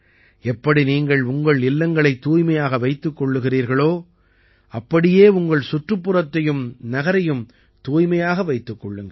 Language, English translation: Tamil, Just as you keep your houses clean, keep your locality and city clean